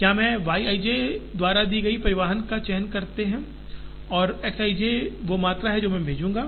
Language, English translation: Hindi, Whether I choose to transport is given by the Y i j and the quantity that I transport is given by the X i j